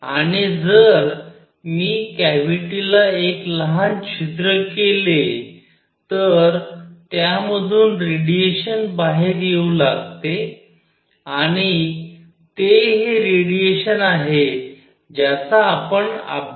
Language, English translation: Marathi, And if I make a small hole in the cavity radiation starts coming out of here and it is this radiation that we study